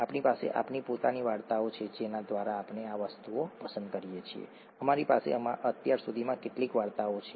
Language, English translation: Gujarati, We have our own stories through which we pick up these things; we have had a few stories so far